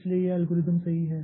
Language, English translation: Hindi, So, algorithm is correct